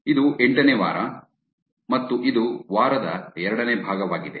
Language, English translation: Kannada, This is week 8, and this is the second part of the week